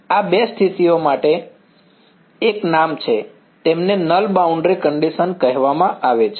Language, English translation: Gujarati, These two conditions there is a name for them they are called Null boundary conditions